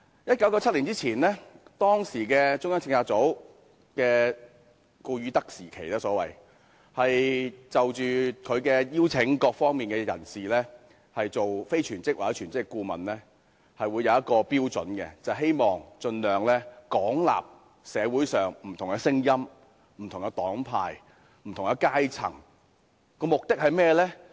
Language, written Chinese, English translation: Cantonese, 1997年前是中策組的所謂"顧汝德時期"，中策組邀請各方人士擔任全職或非全職顧問時，是有一項標準的，就是希望盡量廣納社會上的不同聲音、不同黨派及不同階層，目的是甚麼？, Before 1997 it was the so - called Goodstadt period of CPU . In inviting various interested parties to serve as its full - time or part - time members CPU adopted a criterion with the aim of extensively absorbing different voices different political parties and groupings and different classes in society